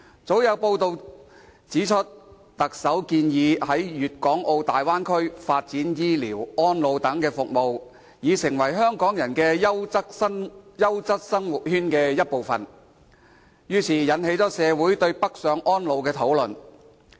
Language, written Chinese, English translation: Cantonese, 早前有報道指，特首建議在粵港澳大灣區發展醫療、安老等服務，使之成為香港人優質生活圈的一部分，於是，引起社會對北上安老的討論。, As reported in the press earlier the Chief Executive proposed developing medical care elderly services etc . in the Guangdong - Hong Kong - Macau Bay Area so as to integrate the Bay Area into the quality living circle for Hong Kong people . Consequently there are discussions in society about retirement in the Mainland